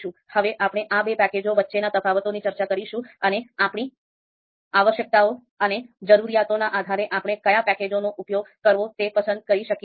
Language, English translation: Gujarati, So we will see what are the differences between these two packages, and depending on our requirements and needs, we would be using we can always select which package to use